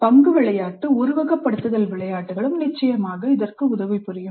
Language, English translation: Tamil, Role play simulation games also would definitely help